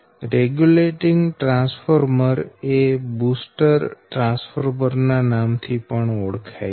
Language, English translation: Gujarati, sometimes we call regulating transformer, sometimes we call booster transformer